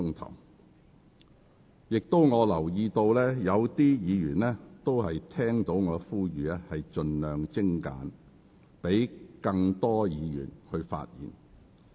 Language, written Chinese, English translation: Cantonese, 我也留意到有議員聽到我的呼籲，盡量精簡發言，以便讓更多議員可以表達意見。, I notice that some Members have responded to my appeal to make their speeches concise so that more Members may express their views